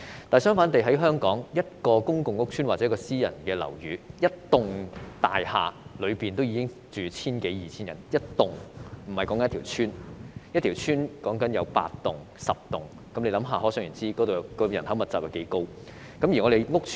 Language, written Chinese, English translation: Cantonese, 但是，反觀香港的情況，一幢公共屋邨或私人樓宇已有千多二千名住客，一個屋邨有8至10幢大廈，可想而知人口密集情況多嚴重。, On the contrary in Hong Kong a public housing or private residential building accommodates 1 000 to 2 000 residents and there are 8 to 10 buildings in a housing estate . So one can imagine how densely populated it is